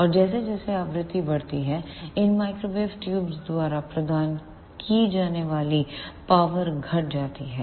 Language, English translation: Hindi, And as the frequency increases, the power provided by these microwave tubes decreases